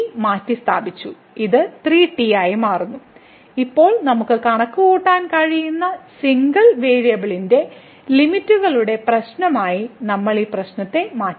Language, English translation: Malayalam, So, it becomes 3 times and now, we have changed the problem to the problem of limits of single variable which we can compute